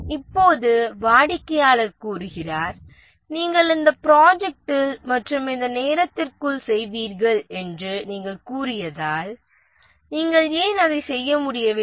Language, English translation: Tamil, And now the customer says that since you said that you will do within this budget and within this time, why you are not able to do it